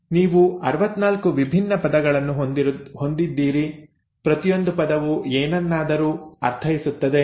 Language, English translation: Kannada, You have 64 different words, each word meaning something